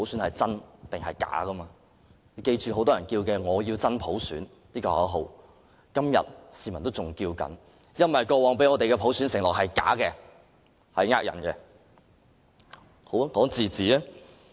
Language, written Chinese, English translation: Cantonese, 大家必須緊記，很多人仍然在喊"我要真普選"的口號，因為過往給予我們的普選承諾是假的，是騙人的。, We must bear in mind that many people are still chanting the slogan I want genuine universal suffrage as the previous undertaking of universal suffrage was nothing but a lie